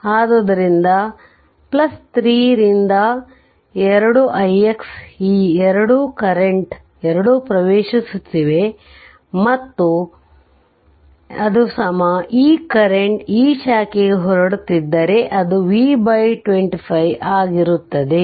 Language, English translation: Kannada, So, plus 3 by 2 i x right these 2 current both are entering and is equal to this current is leaving to this branch it will be V by 25